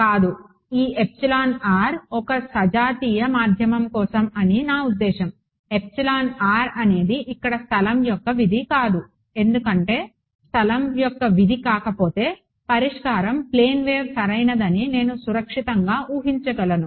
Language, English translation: Telugu, No, this epsilon r is for a homogeneous medium I mean epsilon r is not a function of space over here why because if epsilon r is not a function of space then I can safely assume that the solution is a plane wave correct